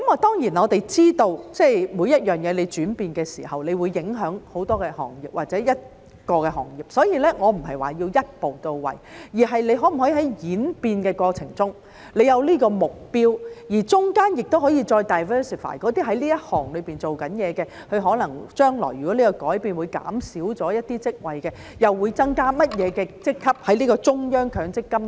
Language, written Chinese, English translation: Cantonese, 當然，我們知道每樣東西轉變的時候都會影響很多行業或一個行業，所以我不是說要一步到位，而是在演變的過程中可否有這個目標，而當中也可以再 diversify 那些在這行業工作的人，將來如果這改變可能會減少一些職位，中央強積金計劃又會增加甚麼職級呢？, Of course we understand that a change in anything may affect many industries or a certain industry . So I am not saying that the goal must be achieved in one step but in the course of the change can we have such a goal? . And in the process can we further diversify those people who work in this industry and if in the future such a change may render some positions redundant what additional positions will be created under the centralized MPF scheme?